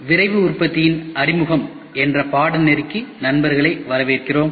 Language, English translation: Tamil, Welcome friends, welcome to the course of Introduction to Rapid Manufacturing